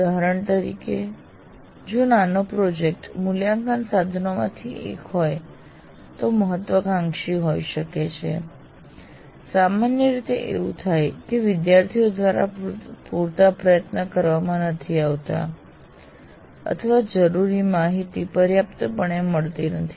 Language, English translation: Gujarati, For example, if a mini project constitutes one of the assessment instruments, it may have been ambitious, generally happens, not enough effort was put in by the students, or access to the required information was not adequate